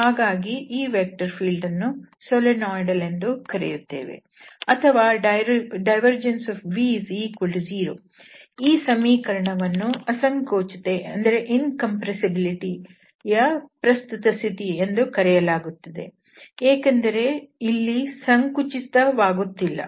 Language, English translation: Kannada, So, this vector field is called Solenoidal or this relation divergence v is equal to 0 is also known the current condition of incompressibility because there is no compression or contraction happening here